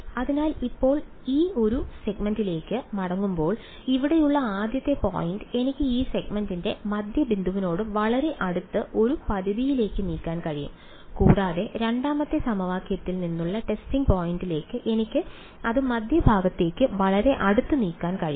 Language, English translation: Malayalam, So, now, coming back to this one segment over here the first point over here I can move it in a limit very close to the midpoint of the segment and the testing point from the 2nd equation I can move it very close to the middle of the segment, again I can take a limit ok